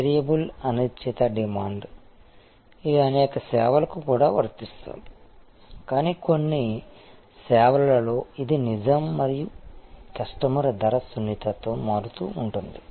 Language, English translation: Telugu, Variable an uncertain demand, which is also true for many services, but in some services, it is truer and there is varying customer price sensitivity